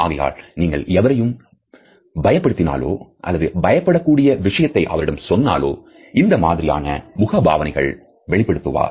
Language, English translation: Tamil, So, if you scare someone or tell someone something that scares them, they will usually make this face